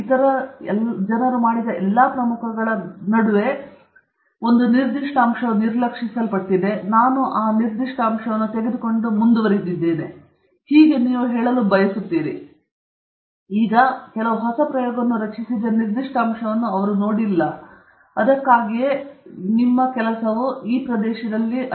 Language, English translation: Kannada, In between all of the important work that other people have done, a particular aspect has been neglected; somehow, they have not looked at a particular aspect for which you have now created some new nice experiment and that is why your work is in that area